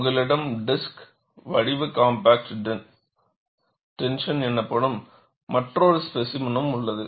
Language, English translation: Tamil, You also have another set of specimen, which is known as disc shaped compact tension specimen